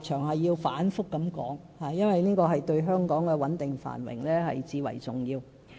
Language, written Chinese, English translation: Cantonese, 我反覆提出這個立場，因為這對香港的穩定繁榮最為重要。, I have repeated this position over and over again because it is essential to ensuring Hong Kongs stability and prosperity